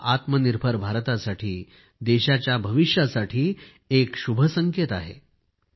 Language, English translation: Marathi, This is a very auspicious indication for selfreliant India, for future of the country